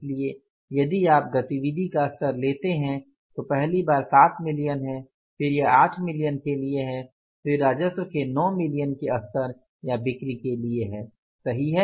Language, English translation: Hindi, So, if you take the level of activity that is first is 7 millions then it is for the 8 million and then is for the 9 million level of the revenue or the sales